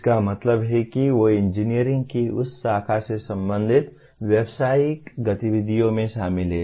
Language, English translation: Hindi, That means they are involved in professional activities related to that branch of engineering